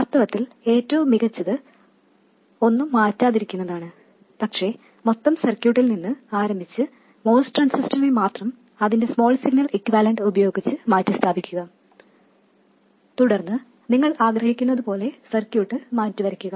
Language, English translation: Malayalam, In fact, the best thing is not to change anything but start from the total circuit and replace only the MOS transistor with its small signal equivalent and then redraw the circuit as you wish to do